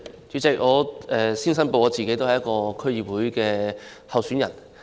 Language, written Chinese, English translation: Cantonese, 主席，首先我作出申報，我是一名區議會選舉候選人。, President before all else I would like to declare that I am a candidate running in the District Council DC Election